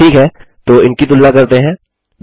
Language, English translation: Hindi, okay so lets compare these